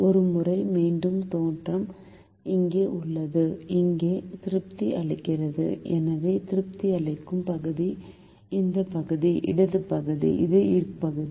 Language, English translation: Tamil, once again, the origin is here, here satisfying, therefore, the region that will satisfy is this region, the left region